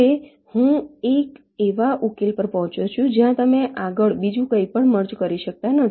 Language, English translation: Gujarati, now i have arrived at a solution where you cannot merge anything else any further